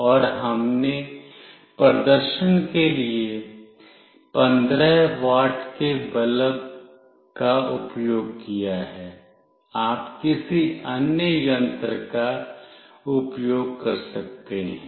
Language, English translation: Hindi, And we have used a 15 watt bulb for demonstration, you can use any other device